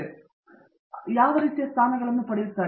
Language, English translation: Kannada, So, what sort of positions do they tend to get